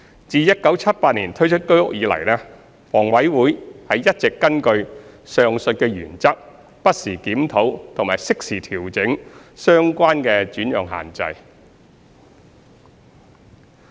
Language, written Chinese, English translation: Cantonese, 自1978年推出居屋以來，房委會一直根據上述原則，不時檢討並適時調整相關的轉讓限制。, Since the introduction of HOS in 1978 HA has been reviewing and revising the relevant alienation restrictions as appropriate from time to time in accordance with the aforementioned principles